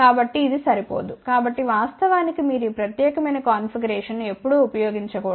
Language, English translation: Telugu, So, which is not adequate, so in fact you should never ever use this particular configuration